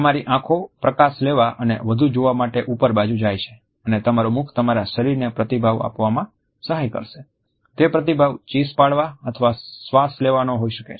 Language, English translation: Gujarati, Your eyes go up to take in more light and see more and your mouth is ready to set up your body for the fight or flight response, either to scream or to breath